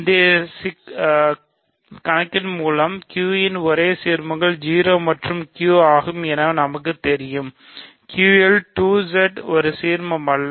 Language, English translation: Tamil, By an earlier problem we know that the only ideals of Q are 0 and Q, so Q, 2Z is not an ideal